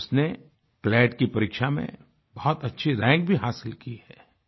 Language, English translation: Hindi, She has also secured a good rank in the CLAT exam